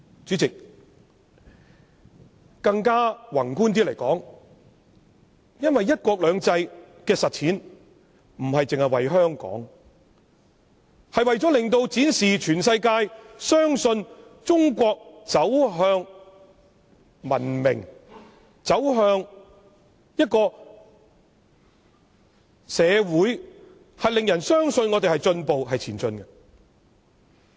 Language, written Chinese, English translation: Cantonese, 主席，說得宏觀一些，"一國兩制"的實踐，不僅是為了香港，也是為了令全世界相信中國走向文明，令人相信我們有進步、是正在前進的。, President from a macroscopic point of view the implementation of one country two systems is not only for the sake of Hong Kong but also for making the whole world believe that China is marching towards civilization and that we are making progress and are progressing